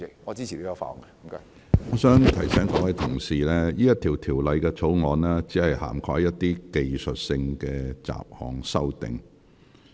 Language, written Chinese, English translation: Cantonese, 我提醒各位議員，這項條例草案只涵蓋若干技術性的雜項修訂。, I remind Members that the Bill only covers technical and miscellaneous amendments